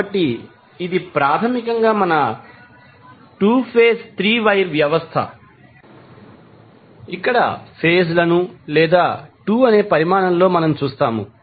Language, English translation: Telugu, So, this is basically our 2 phase 3 wire system where we see the phases or 2 in the quantity